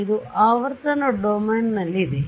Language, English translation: Kannada, This is in the frequency domain ok